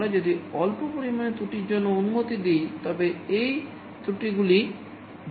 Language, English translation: Bengali, If we allow for a small amount of error, this errors will go on adding